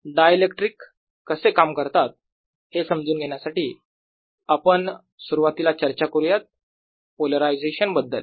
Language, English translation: Marathi, to understand how dielectrics behave, we'll first talk about a polarization